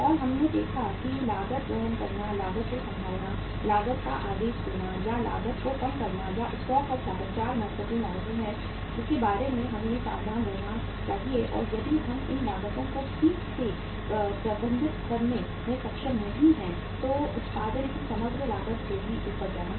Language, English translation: Hindi, And we saw that carrying cost, handling cost, ordering cost or reordering cost and the stock out costs are the 4 important costs which we should be careful about and if we are not able to manage these costs properly then the overall cost of production will go up